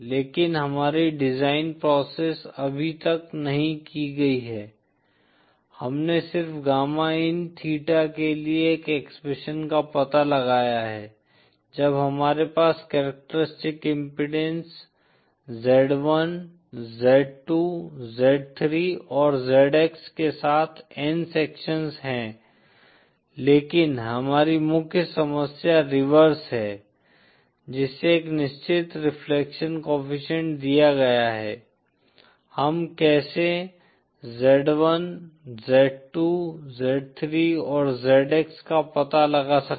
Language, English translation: Hindi, But our design process is not yet done, we have just found out an expression for gamma in theta when we have n sections with characteristic impedance z1, z2, z3 & zx, but our main problem is the reverse that is given a certain reflection coefficient, how can we find out z1, z2, z3 & zx